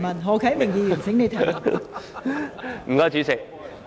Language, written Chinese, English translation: Cantonese, 何啟明議員，請提出主體質詢。, Mr HO Kai - ming please ask your main question